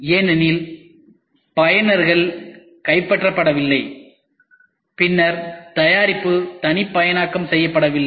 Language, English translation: Tamil, Because the users are not captured and then the product is not made